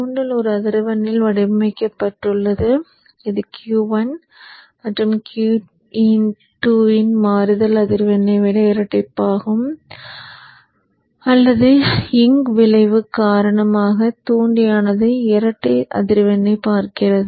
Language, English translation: Tamil, The inductor will be designed at a frequency which is double the switching frequency of Q1 and Q2 because the inductor is because of the awning effect inductor is in double the frequency